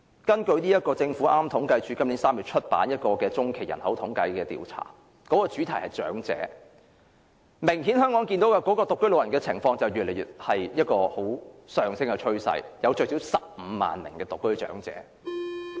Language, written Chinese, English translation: Cantonese, 根據政府統計處今年3月發表的中期人口統計調查，主題是"長者"，明顯看到香港的獨居老人有上升趨勢，最少有15萬名獨居長者。, The Population By - census Thematic Report on Older Persons published by the Census and Statistics Department of the Government in March 2018 shows an obvious increasing trend of older persons living alone . There were at least 150 000 older persons living alone